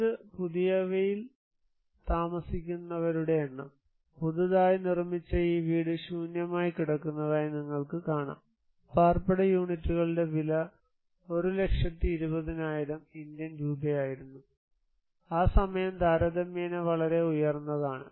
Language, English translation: Malayalam, This is the number of occupancy in the new, you can see these new constructed house is lying empty, the cost of dwelling units was 1 lakh 20,000 Indian rupees according to that time comparatively much higher